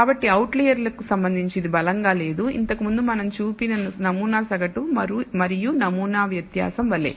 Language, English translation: Telugu, So, it is not robust with respect to outliers just like the sample mean and sample variance we saw earlier